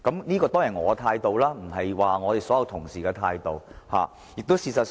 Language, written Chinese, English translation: Cantonese, 這當然是我的態度，不是所有同事的態度。, Of course this is only my position but not the position of all my colleagues